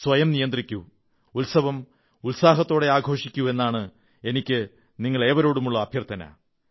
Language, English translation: Malayalam, I urge all of you to take utmost care of yourself and also celebrate the festival with great enthusiasm